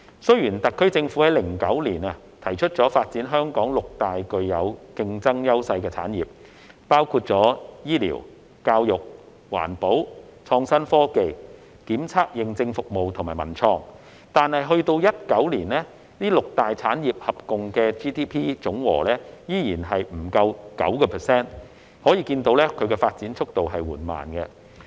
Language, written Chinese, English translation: Cantonese, 雖然特區政府於2009年提出發展香港六大具有競爭優勢的產業，包括醫療、教育、環保、創新科技、檢測認證服務及文創，但直至2019年，該六大產業合共佔 GDP 依然不足 9%， 可見發展速度緩慢。, The SAR Government proposed in 2009 to develop six industries where Hong Kong enjoys competitive advantages including medical services education services environmental industries innovation and technology testing and certification and cultural and creative industries but in 2019 the six industries still accounted for less than 9 % of its GDP which reflects the slow pace of development